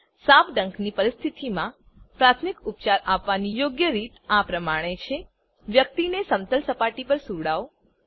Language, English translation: Gujarati, The correct way to give first aid in case of a snake bite is Make the person lie down on a flat surface